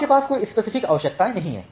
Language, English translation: Hindi, So, you do not have any specific requirements